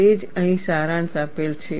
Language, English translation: Gujarati, That is what is summarized here